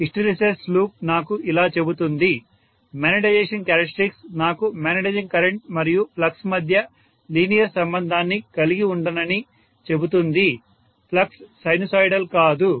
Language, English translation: Telugu, The hysteresis loop tells me, the magnetization characteristics tells me that I can’t have linear relationship between magnetizing current and flux, the flux cannot be sinusoidal